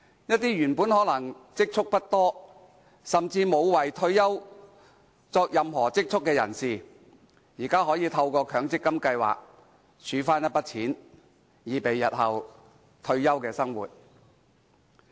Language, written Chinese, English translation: Cantonese, 一些原本可能積蓄不多，甚至沒有為退休而儲蓄的人士，現在可以透過強積金計劃儲蓄一筆金錢，以備日後退休生活之用。, Some people who may not save much or any for their retirement can now use the sum of money saved under the MPF scheme for their retirement